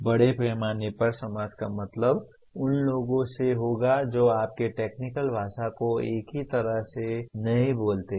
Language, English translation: Hindi, Society at large would mean people who do not speak your technical language in the same acronym, same way